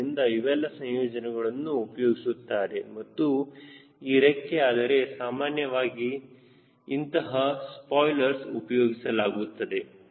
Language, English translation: Kannada, so all this combinations are used and generally this: ah, spoilers are installed